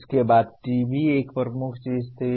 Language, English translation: Hindi, Subsequently TV was a dominant thing